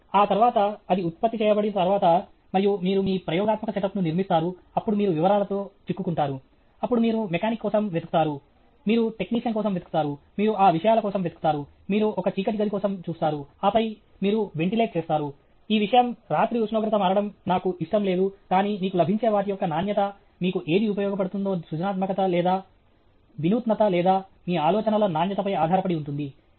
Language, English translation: Telugu, After that, after it is generated and all that, you build your experimental setup, then you get bogged down with details; then you look for a mechanic, you look for a technician, you look for those things, you look for a dark room, and then, you will do ventilated, this thing, night I don’t want temperature to change, but the quality of whatever you get, whatever you get the usefulness or not, the creativity or not, the innovativeness or not, depends on the quality of your ideas